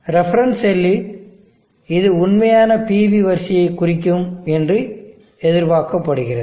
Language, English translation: Tamil, In the case the reference cell this is expected to represent the actual PV array